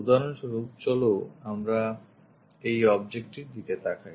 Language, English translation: Bengali, For example, let us look at this object